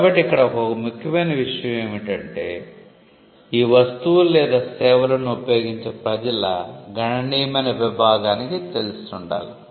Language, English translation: Telugu, So, the test here is that it should be known to the substantial segment of the public which uses the goods or services